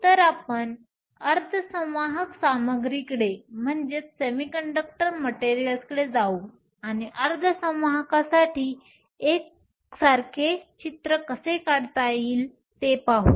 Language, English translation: Marathi, So, today we will move on to semiconductor materials, and see how we can draw a similar picture for semiconductors